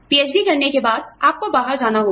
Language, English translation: Hindi, You have to go out, after you earn your PhD